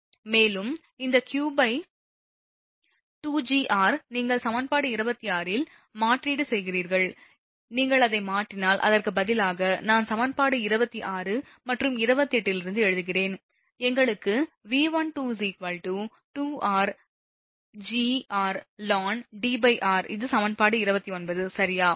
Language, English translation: Tamil, And this q upon pi epsilon will 2 r Gr you substitute in equation 26, here substitute if you substitute that, is why I am writing from equation 26 and 28, we get V12 is equal to 2 r into Gr l n d upon r this is equation 29 right